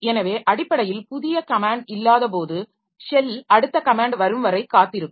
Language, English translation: Tamil, So basically when there is no new comment, so the shell will be waiting for the next comment to come